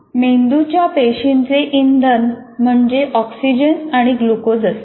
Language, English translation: Marathi, Brain cells consume oxygen and glucose for fuel